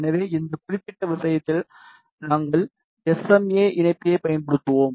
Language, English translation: Tamil, So, in this particular case we will be using SMA connector